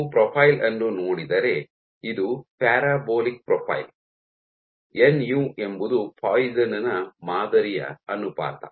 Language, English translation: Kannada, If you look at the profile, this is a parabolic profile, nu is the Poisson’s ratio of the sample